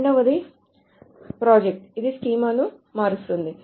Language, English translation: Telugu, The first thing that it does is that the schema is changed